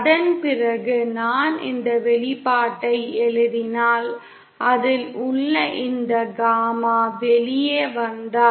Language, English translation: Tamil, And then if I write an expression for the magnitude if this gamma in it comes out to